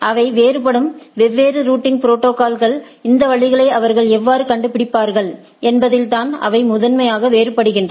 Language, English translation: Tamil, The different routing protocols which they differ is primarily that in what sort of how they discover these routes